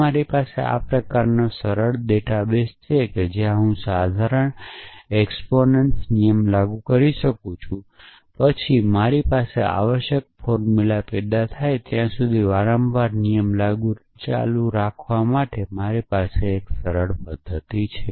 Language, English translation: Gujarati, So, if I have a simple database of the kind where, I can apply modest exponents rule then I have a simple mechanism for keep applying rule repeatedly till i generated formula that I have essentially